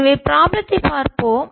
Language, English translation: Tamil, so let's, ah, see the problem